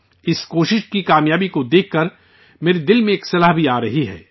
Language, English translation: Urdu, Looking at the success of this effort, a suggestion is also coming to my mind